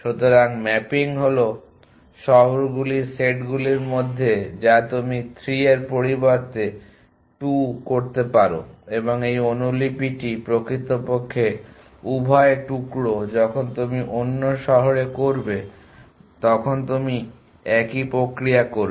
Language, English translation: Bengali, So, the mapping is between these set of cities that you can instead of 3 you can place 2 so and this copy the actually both piece when you do the others city you would do a similar process